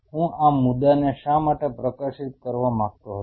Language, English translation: Gujarati, Why I wanted to highlight this point